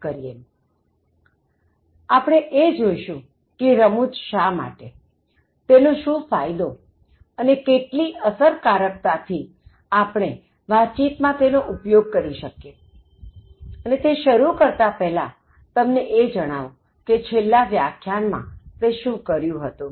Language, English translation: Gujarati, So, we will look at like why humour and what are the benefits and how effectively can we use Humour in Communication, and before we start, I just wanted to let you know what we did in the last lecture